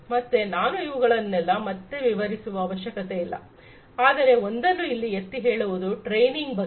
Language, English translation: Kannada, So, I do not need to explain each of these, but only thing that I would like to highlight is the training